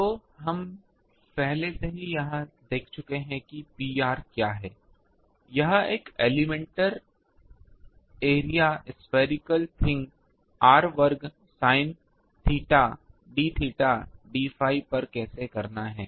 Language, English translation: Hindi, So, P r is we have already seen how to do it, over an elemental area spherical thing r square sin theta d theta d phi